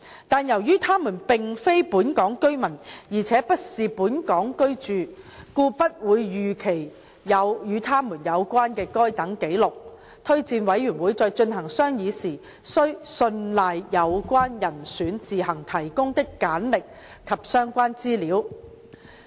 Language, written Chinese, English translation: Cantonese, 但是，由於他們並非本港居民，而且不是在本港居住，故不會預期有與他們有關的該等紀錄，司法人員推薦委員會在進行商議時須信賴有關人選自行提供的簡歷和相關資料。, Yet as they are neither residents of Hong Kong nor residing in Hong Kong it is expected that there may not be such records of them and JORC has to rely on the curricula vitae and relevant information provided by the candidates in its deliberation